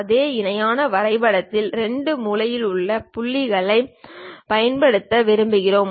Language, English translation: Tamil, In the same parallelogram we would like to use 2 corner points